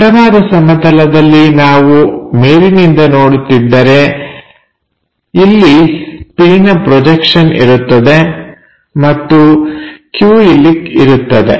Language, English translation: Kannada, On the horizontal plane, if we are looking from top view it makes projection p here and projection q here